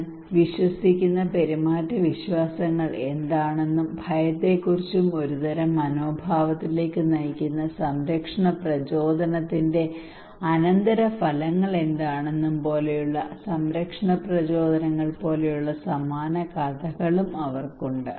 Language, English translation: Malayalam, They have also similar stories like protection motivations like what are the behavioural beliefs what I believe about and about the fear and what are the outcomes of the protection motivations that leads to kind of attitude whether I should do it or not